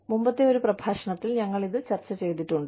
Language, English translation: Malayalam, We have discussed this, in a previous lecture